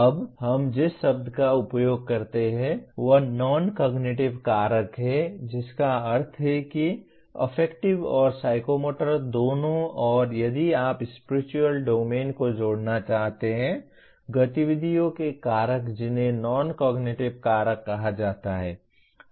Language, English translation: Hindi, Now the word we use is non cognitive factors that means both affective and psychomotor and if you wish to add even spiritual domain; activities factors in that are called non cognitive factors